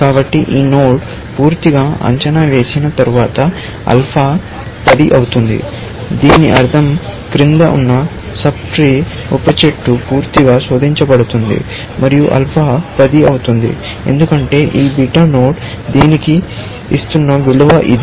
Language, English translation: Telugu, So, we say that alpha becomes 10, after this node is completely evaluated; it means that sub tree below that is completely searched; alpha becomes 10, because that is a value, this beta node is giving to this